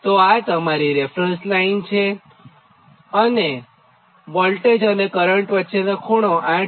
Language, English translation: Gujarati, then what is the angle between voltage and current